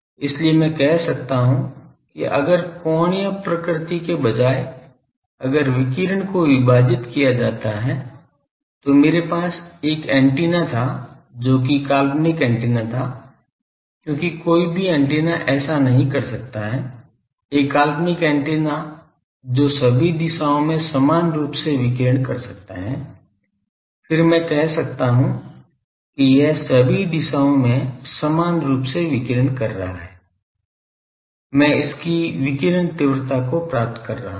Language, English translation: Hindi, So, I can say , radiation divided by what is the if instead of angular nature, I had an antenna which was fictitious antenna because no antenna can do that , a fictitious antenna which can radiate equally in all direction, then I could have taken that equally it is radiating all with respect to that I am finding the radiation intensity of this